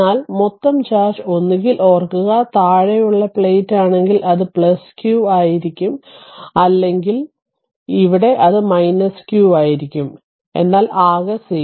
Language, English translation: Malayalam, But remember that total charge will be either, if the bottom plate, this will be plus q or here it will be minus q, but total will be 0